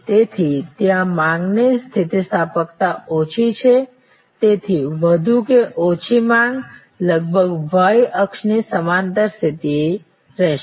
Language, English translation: Gujarati, So, there is less elasticity of demand there, so more or less the demand will be steady almost parallel to the y axis